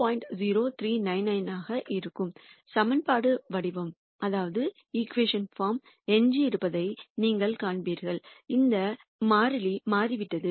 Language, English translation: Tamil, 0399, then you would notice that the equation form remains the same except this constant has changed